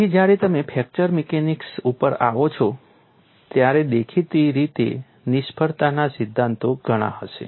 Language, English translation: Gujarati, So, when you come to fracture mechanics; obviously, the failure theory is will be meaning you have to anticipate that